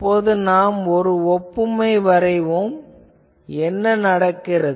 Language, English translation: Tamil, Actually, I draw an analogy what happens